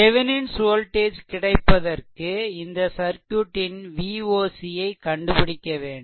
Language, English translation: Tamil, And then, after that you have to find out your Thevenin voltage V Thevenin is equal to V oc, the open circuit voltage